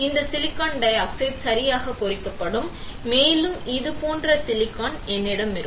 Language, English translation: Tamil, This silicon dioxide will get etched right, and I will have silicon like this